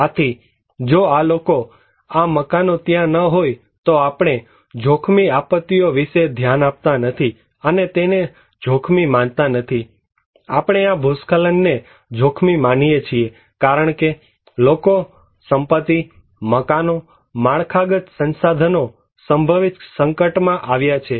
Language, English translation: Gujarati, So, if these people, these houses are not there, we do not care about the hazard disasters, we do not consider them as risky, we consider this landslide as risky because people, properties, buildings, infrastructures they are exposed to that potential hazard